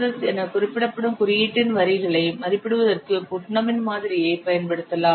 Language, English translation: Tamil, Putanah's model can be used to estimate the lines of code which is reprinted as S